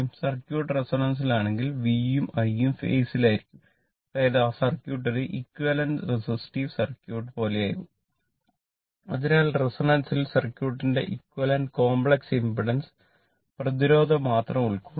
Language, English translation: Malayalam, If circuit is a resonance so, in V and I inwhat you call in phase; that means, that circuit will become a as you it is a something like an equivalent your resist resistive circuit right